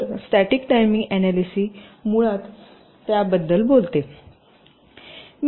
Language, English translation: Marathi, so static timing analysis basically talks about that